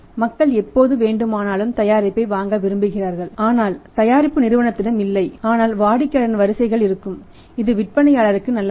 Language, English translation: Tamil, People want to buy the product as and when they wanted but the product is not there with the company so customer’s queues will be there which is also not good for the seller